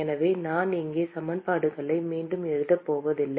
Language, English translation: Tamil, And so, I am not going to rewrite the equations here